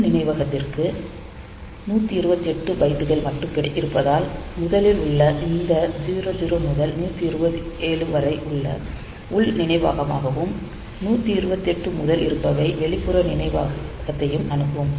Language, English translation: Tamil, So, from because only 128 Bytes are there for the internal memory, first this 00 to 127, it will be internal memory and 128 onwards